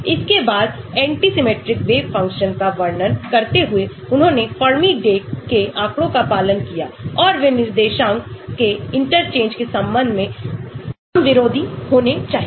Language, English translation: Hindi, then anti symmetric wave functions describing they obey the Fermi Dirac statistics that is they must be anti symmetric with respect to an interchange of coordinates